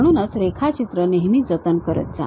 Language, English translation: Marathi, So, drawing always be saved